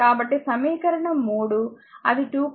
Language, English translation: Telugu, So, equation 3 that is 2